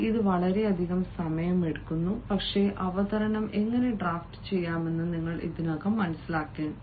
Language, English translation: Malayalam, it takes a lot of time, but since you have already understood how to draft the presentation, now you should know how to practice